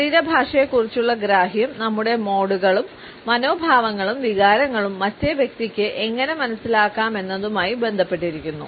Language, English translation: Malayalam, And the understanding of body language was linked as how our modes and attitudes, feelings etcetera, can be grasped by the other person and vice versa